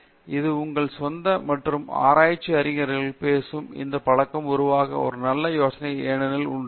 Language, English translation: Tamil, So itÕs a good idea to develop this habit of talking to your own other research scholars because that is a good sounding board also